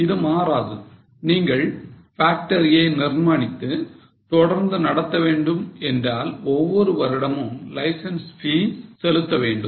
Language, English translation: Tamil, If we want to establish factory and keep it running, you have to pay license fee every year